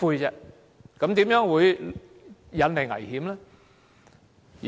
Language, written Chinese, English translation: Cantonese, 這樣怎會引來危險呢？, How will it cause dangers?